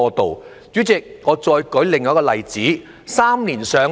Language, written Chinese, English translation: Cantonese, 代理主席，我再舉另一個例子——"三年上樓"。, Deputy President let me cite another example―the objective of three - year waiting time for public rental housing PRH allocation